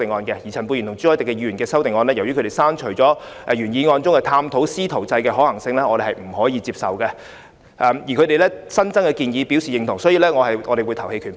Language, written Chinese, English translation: Cantonese, 至於陳沛然議員和朱凱廸議員的修正案，由於他們刪除了原議案中的探討"師徒制"的可行性的建議，我們是無法接受的，但對他們新增的建議表示認同，所以我們會表決棄權。, As for the amendments proposed by Dr Pierre CHAN and Mr CHU Hoi - dick I am afraid we cannot accept them because they have deleted in their amendments the proposal of exploring the feasibility of a mentorship approach . But we agree with their additional proposals . Hence we will abstain from voting on their amendments